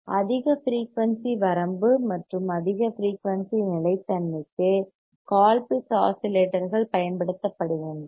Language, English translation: Tamil, Colpitt’s oscillators are used for high frequency range and high frequency stability